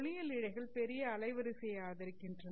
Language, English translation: Tamil, Optical fibers also support a large bandwidth